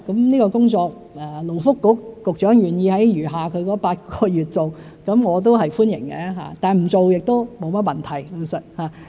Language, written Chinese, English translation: Cantonese, 勞工及福利局局長願意在餘下的8個月任期內做這項工作，我表示歡迎，但不做也沒甚麼問題。, If the Secretary for Labour and Welfare is willing to undertake this task during his remaining eight months in office I will welcome his efforts but it is fine if he does not do so